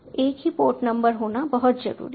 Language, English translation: Hindi, it is very important to have the same port numbers